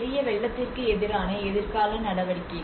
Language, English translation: Tamil, The future measures against major floods